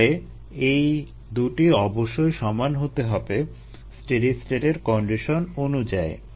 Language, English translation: Bengali, so these two must be equal according to ah, the condition for steady state